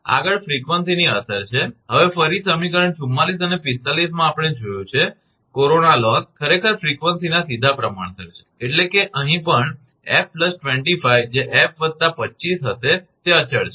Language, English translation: Gujarati, Next is effect of frequency, now again in equation 44 and 45 we have seen, the corona loss actually is directly proportional to the frequency, that means, this here also f plus 25 that will be f plus 25 is constant